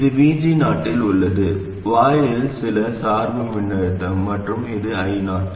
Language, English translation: Tamil, This is at VG 0, some bias voltage at the gate, and this is I0